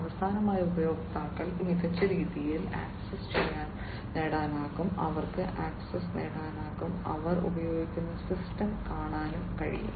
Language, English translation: Malayalam, And finally, the users are able to get access in a smarter way, they are able to get access and view the system, that they are using